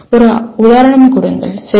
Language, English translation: Tamil, Give an example, okay